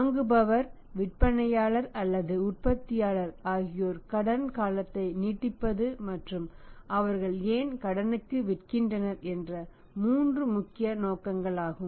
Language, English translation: Tamil, These are the three important motives buyer, sellers or manufacturers extend the credit and why they are selling on the credit in the market